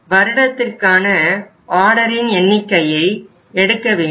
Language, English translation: Tamil, Then we have to take the number of orders